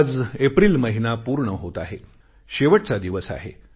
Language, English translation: Marathi, Today is the last day of month of April